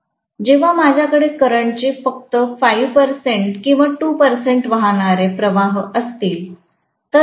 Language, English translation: Marathi, When I am having only you know 5 percent of the current or 2 percent of the current flowing, the current is going to be only 0